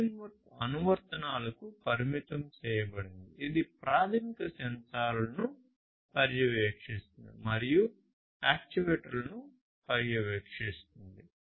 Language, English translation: Telugu, The framework is limited to applications which monitor basic sensors and supervise the actuators